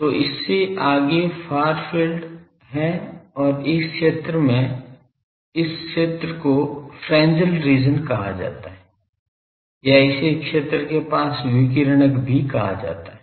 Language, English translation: Hindi, So, beyond this is the far field and this region in this region this is called Fresnel region or also it is called radiative near field region